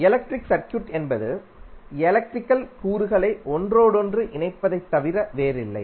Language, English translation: Tamil, So electric circuit is nothing but interconnection of electrical elements